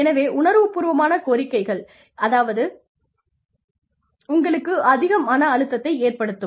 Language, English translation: Tamil, So, emotional demands, can put a lot of stress on you